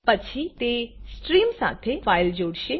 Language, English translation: Gujarati, Then it links the file with the stream